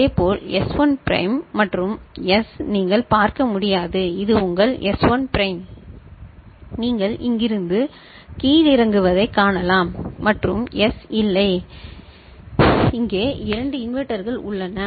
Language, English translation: Tamil, Similarly, S1 prime and S naught you can see, this is your S1 prime you can see you know dropdown from here and S naught, there are two inverters over here